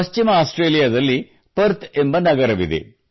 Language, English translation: Kannada, There is a city in Western Australia Perth